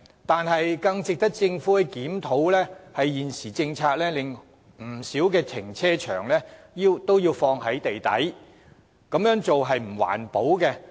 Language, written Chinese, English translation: Cantonese, 但是，更值得政府檢討的是，根據現行政策，不少停車場皆設置於地底，此舉並不環保。, However what is even more worth reviewing by the Government is that under the existing policy quite a number of carparks are built underground and the practice is not environmentally friendly